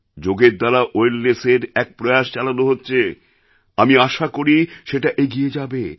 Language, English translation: Bengali, I hope the campaign of wellness through yoga will gain further momentum